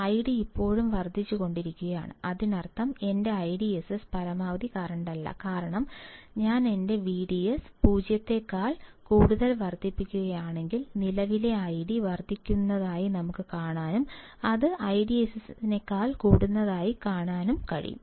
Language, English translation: Malayalam, The I D is still increasing; that means, my I DSS is not the maximum current, my I DSS is not maximum current, because if I increase my V G S greater than 0 volt, I can still see that the current I D is increasing